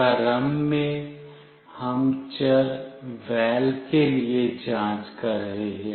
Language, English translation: Hindi, Initially, we are checking for the variable “val”